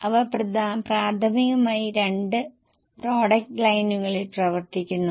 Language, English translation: Malayalam, They are primarily operating in two product lines